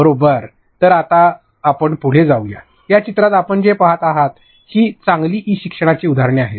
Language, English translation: Marathi, So, let us move ahead in these screenshots that you are seeing these are examples of good e learning